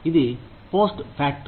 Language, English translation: Telugu, That is post facto